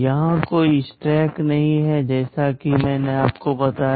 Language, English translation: Hindi, Here there is no stack as I told you